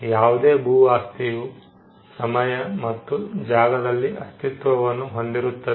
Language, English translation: Kannada, Any landed property exists in time and space